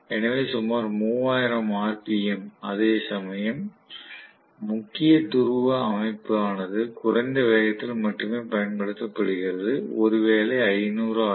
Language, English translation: Tamil, So about 3000 rpm, whereas the salient pole system is going to be used only in low speed, maybe close to 500 rpm